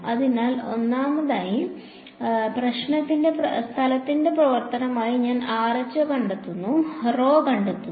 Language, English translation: Malayalam, So, first of all I need to find rho as a function of space